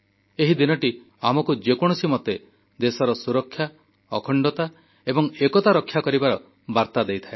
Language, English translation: Odia, This day imparts the message to protect the unity, integrity and security of our country at any cost